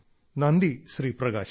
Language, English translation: Malayalam, Prakash ji Namaskar